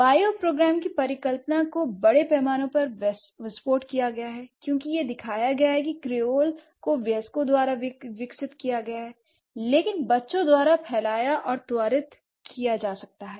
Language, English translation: Hindi, So, the bioprogram hypothesis has been largely exploded because it has been shown that Creoles may be developed by adults, but spread and accelerated by children